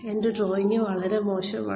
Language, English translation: Malayalam, My drawing is pretty bad